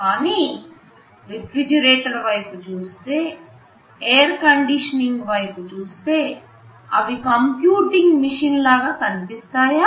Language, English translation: Telugu, But if you look at a refrigerator, if we look at our air conditioning machine, do they look like a computing machine